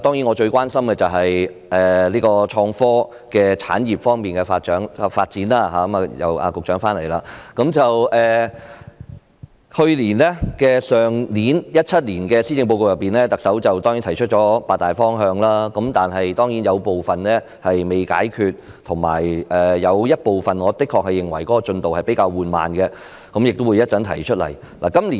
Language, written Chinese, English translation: Cantonese, 我最關心的當然是創科產業方面的發展——局長現在回來了——去年特首在2017年的施政報告中提出八大方向，當然有部分仍未實現，我也認為有部分的進度比較緩慢，稍後我會作出闡述。, I am certainly most concerned about the development of the innovation and technology industries―the Secretary has returned now―Of the eight major directions put forward by the Chief Executive in the 2017 Policy Address last year some have yet been realized whereas some are in my view making rather slow progress . I will explain them later